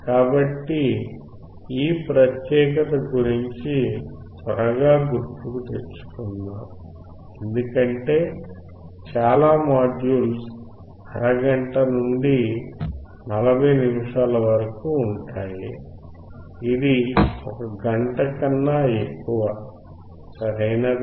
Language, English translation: Telugu, So, let us quickly recall about this particular is a big, big module as you see most of my modules are like half an hour to 40 minutes this is more than 1 hour, right